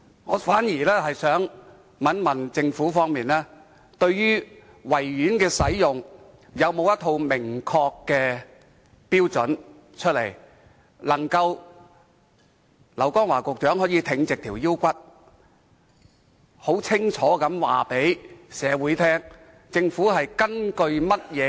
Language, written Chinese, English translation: Cantonese, 我反而想問，對於維園的使用，政府有否一套明確的標準，讓劉江華局長可以挺起胸膛，很清楚地告知市民？, Conversely may I ask whether the Government has laid down a set of clear criteria for the use of the Victoria Park such that Secretary LAU Kong - wah can inform the public of such criteria in an unequivocal manner?